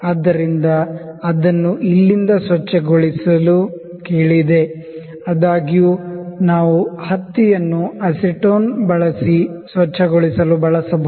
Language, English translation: Kannada, So, it has asked to be cleaned from here; however, we can use the cotton to clean it using acetone